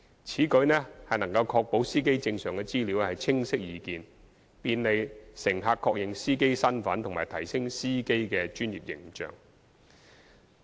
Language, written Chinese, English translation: Cantonese, 此舉能確保司機證上的資料清晰易見，便利乘客確認司機身份及提升司機的專業形象。, This will ensure that the information on the driver identity plates is clearly and easily visible thereby enabling passengers to identify drivers easily and enhancing the professional image of drivers